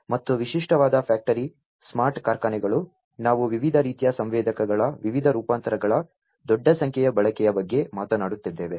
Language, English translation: Kannada, And in typical factory smart factories we are talking about the use of large number of different variants of different different types of sensors